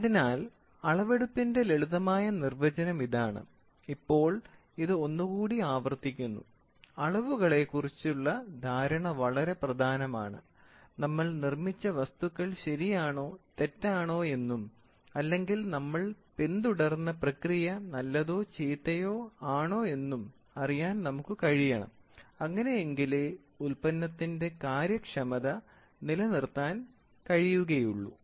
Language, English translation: Malayalam, So, this is what is a simple definition for measurement and I repeat now, measurements are very important to understand what we have manufactured whether it is correct or wrong or whether the process what we have followed is good or bad, so such that the efficiency of the product is maintained